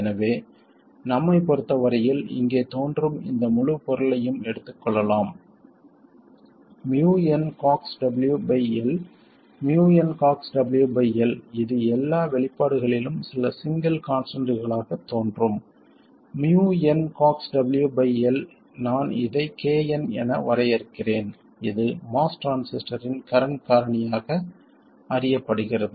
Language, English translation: Tamil, So as far as we are concerned, we can take this entire product which appears here, muon C Ox W L, which appears in all these expressions as some single constant, mu N C Ox W by L, I will will define that as KN